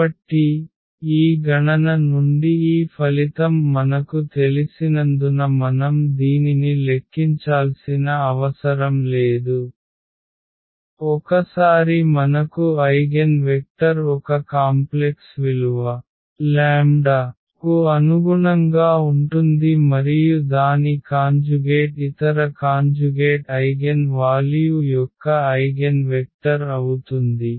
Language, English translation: Telugu, So, indeed we do not have to compute this since we know this result from this calculation that once we have eigenvector corresponding to one complex value of this lambda and its conjugate will be will be the eigenvector of the other conjugate eigenvalue